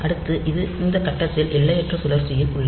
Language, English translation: Tamil, So, it is in an infinite loop at this point